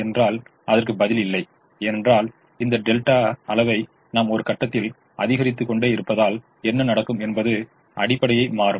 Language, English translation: Tamil, the answer is no, because as we keep on increasing this delta quantity, at some point what will happen is the, the bases will change